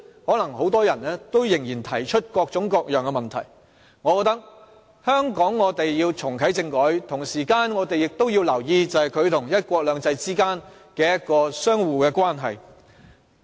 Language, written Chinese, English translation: Cantonese, 可能很多人仍然會提出各種各樣的問題，所以我們須重啟政改，亦同時留意它與"一國兩制"相互的關係。, People may still have all sorts of queries regarding this and so we have to reactivate constitutional reform while taking note of how it relates to one country two systems